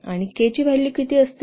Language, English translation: Marathi, 4 and the value of k is how much 1